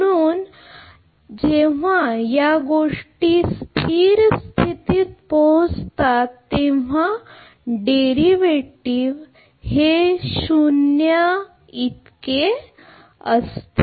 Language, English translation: Marathi, So, when all these things all these state variable reaches to a steady state the derivative is 0 the derivative is 0 right